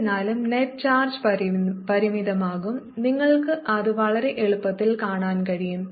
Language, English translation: Malayalam, however, the net charge is going to be finite and you can see that very easily